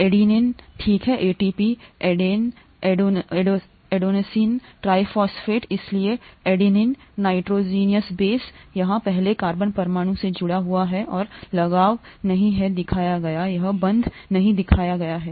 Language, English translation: Hindi, The adenine, okay, ATP, adenosine triphosphate, so the adenine, nitrogenous base it is attached to the first carbon atom here and the attachment is not shown, the bond is not shown here